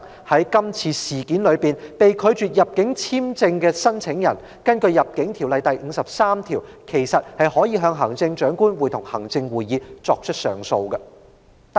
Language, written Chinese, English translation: Cantonese, 在今次的事件中被拒發入境簽證的申請人，其實可以根據《入境條例》第53條，向行政長官會同行政會議提出上訴。, The applicant whose entry visa application has been rejected can actually appeal to the Chief Executive in Council under section 53 of the Immigration Ordinance